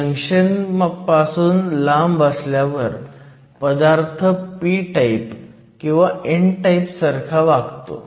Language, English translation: Marathi, Far away from the junction the material behaves as a p or a n type